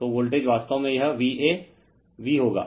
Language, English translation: Hindi, So, voltage actually it will be V a v